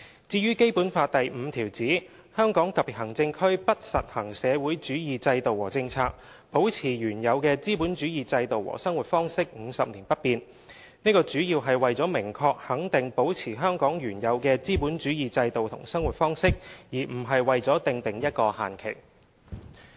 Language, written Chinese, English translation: Cantonese, 至於《基本法》第五條指"香港特別行政區不實行社會主義制度和政策，保持原有的資本主義制度和生活方式，五十年不變"，這主要是為了明確肯定保持香港原有的資本主義制度和生活方式，而不是為了訂定一個限期。, As for the stipulation in Article 5 of the Basic Law that the socialist system and policies shall not be practised in the Hong Kong Special Administrative Region and the previous capitalist system and way of life shall remain unchanged for 50 years its main purpose is to state clearly that the previous capitalist system and way of life in Hong Kong shall remain unchanged rather than setting a time frame on it